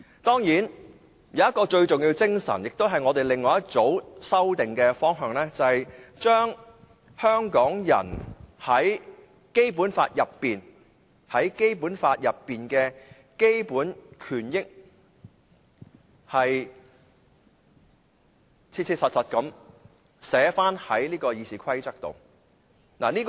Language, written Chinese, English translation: Cantonese, 當然，有一種最重要的精神，亦都是我們另外一組修正案的方向，就是將香港人在《基本法》內的基本權益切實地寫在《議事規則》內。, There is of course a kind of spirit of utmost importance which is related to the direction of another group of amendments . This group seeks to have the basic rights and interests of the Hong Kong people under the Basic Law expressly provided in the Rules of Procedure